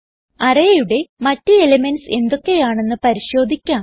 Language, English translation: Malayalam, Now what about the other elements of the array